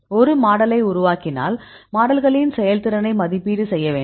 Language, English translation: Tamil, So, if you develop a model; so you need to evaluate the performance of the model